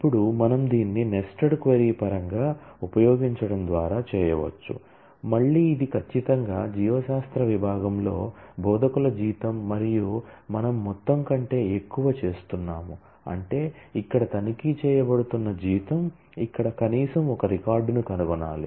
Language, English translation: Telugu, Now, we can do this in terms of the nested query by using, again this is certainly the salary of instructors in biology department and we are doing greater than sum; that means, that the salary here being checked must find at least one record here